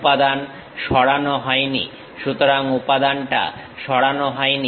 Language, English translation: Bengali, Material is not removed; so, material is not removed